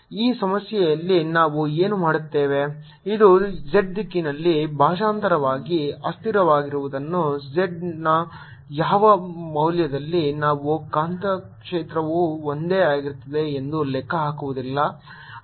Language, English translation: Kannada, what i'll do in this problem is, since this is translationally invariant in the z direction, no matter at what value of z i calculate, the magnetic field is going to be the same